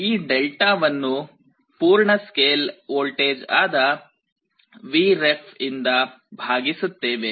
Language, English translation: Kannada, We divide this Δ by full scale voltage which is Vref